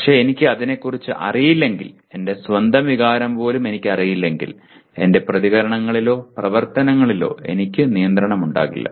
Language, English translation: Malayalam, But if I am not even aware of it, if I do not even know my own emotion, I do not have control over my reactions or activities